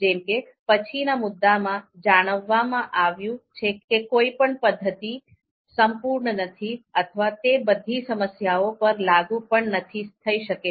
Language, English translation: Gujarati, As mentioned in the next point as well that none of the methods are perfect nor can they be applied to all problems